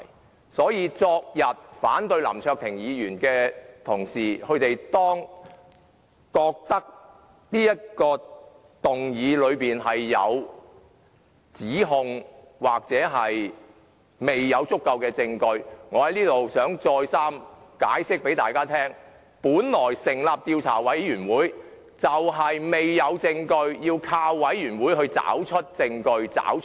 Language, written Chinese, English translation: Cantonese, 因此，若昨天反對林卓廷議員的同事認為這項議案是作出一些指控或是未有足夠的證據，我想在此再三向大家解釋，本來成立專責委員會的原意，就是因為未有證據，所以要靠專責委員會來找出證據、真相。, Therefore if Members who opposed Mr LAM Cheuk - tings motion yesterday think that the motion amounts to an accusation and that there is insufficient evidence I wish to explain to them once again that the original intent of setting up a select committee is that since there is no evidence at present we must rely on a select committee to find out the evidence and truth